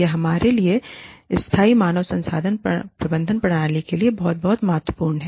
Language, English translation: Hindi, It is very, very, important for us to have, sustainable human resource management systems